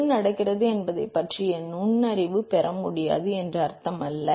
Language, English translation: Tamil, That does not mean that you cannot get insights into what is happening